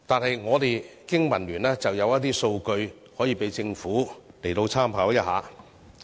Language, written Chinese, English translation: Cantonese, 香港經濟民生聯盟有一些數據可以讓政府參考。, Here are some data from the Business and Professionals Alliance for Hong Kong for reference by the Government